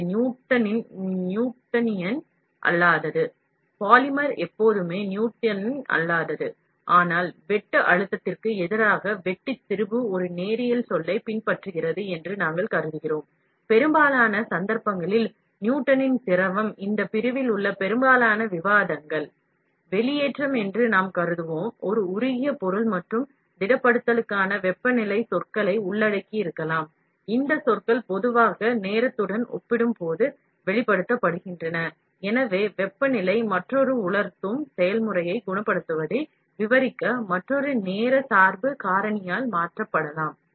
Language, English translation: Tamil, It is a non Newtonian, polymer always is a non Newtonian, but we assume that the shear stress versus shear strain follows a linear term, Newtonian fluid in most cases, most of the discussion in these section, we will assume that the extrusion of a molten material and may therefore, include temperature terms for solidification, these terms are generally expressed relative to time and so, temperature could replace by another time dependent factor to describe curing all drying process